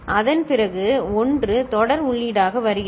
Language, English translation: Tamil, After that 1 comes as the serial input